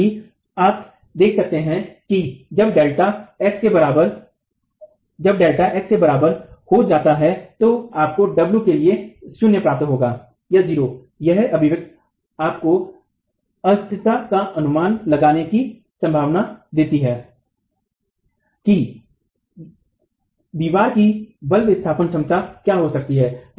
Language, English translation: Hindi, As you can see when delta becomes equal to x you can get you will get zero there for w the expression gives you the possibility of estimating up to instability what the force displacement capacity of the wall can be